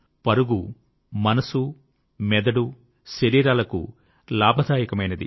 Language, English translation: Telugu, Running is beneficial for the mind, body and soul